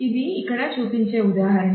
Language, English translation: Telugu, So, here we are showing an example